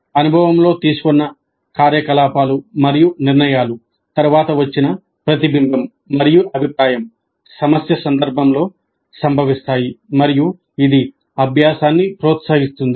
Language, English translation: Telugu, The activities and decisions made during the experience and the later reflection and feedback received occur in the context of the problem and this promotes learning